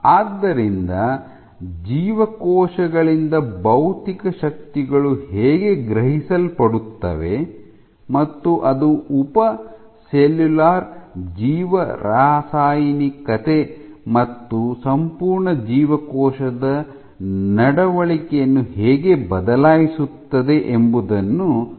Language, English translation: Kannada, So, I will discuss how physical forces are sensed by cells and how it alters sub cellular biochemistry, and whole cell behavior